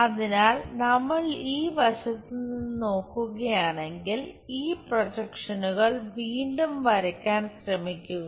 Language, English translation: Malayalam, So, if we are looking from this side view try to look at redraw these projections